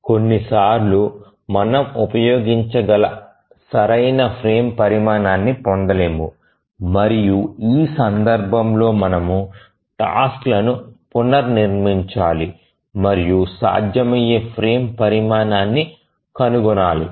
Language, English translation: Telugu, Sometimes we don't get correct frame size that we can use and in that case we need to restructure the tasks and again look for feasible frame size